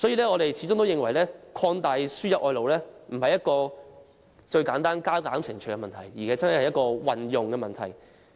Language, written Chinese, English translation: Cantonese, 我們認為擴大輸入外勞並非簡單的加減乘除問題，而是牽涉如何運用的問題。, We consider that the importation of labour is not simply an arithmetic problem; it involves the use of labour